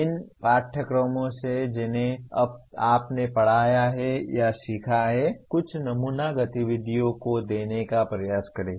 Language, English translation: Hindi, From the courses that you have taught or learnt, try to give some sample activities